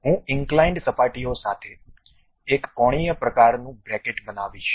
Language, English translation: Gujarati, I will construct a L angular kind of bracket with inclined surfaces